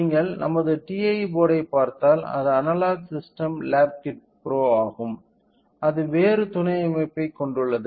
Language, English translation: Tamil, So, if you look into our TA board it is it is analogue system lab kit pro so; it contains a different sub systems